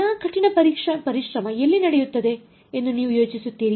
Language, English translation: Kannada, Where do you think all the hard work will happen